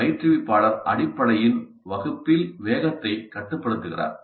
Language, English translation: Tamil, So the instructor is in control, the instructor essentially controls the pace of the class